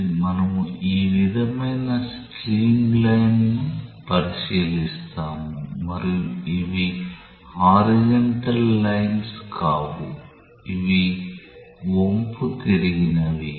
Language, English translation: Telugu, So, let us say that we consider a streamline like this and these are not horizontal lines, these are incline one s